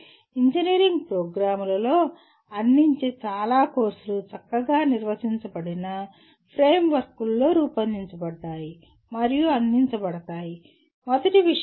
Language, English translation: Telugu, Most of the courses offered in engineering programs are designed and offered in a well defined frameworks, okay